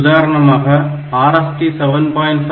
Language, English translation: Tamil, So, TRAP, RST 7